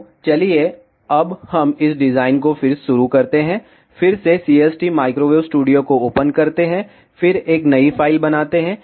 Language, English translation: Hindi, So, let us start with this design again open CST microwave studio, then create a new file